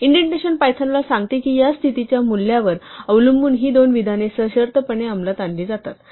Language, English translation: Marathi, The indentation tells Python that these two statements are conditionally executed depending on the value of this condition